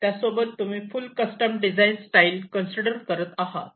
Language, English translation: Marathi, you also consider full custom design style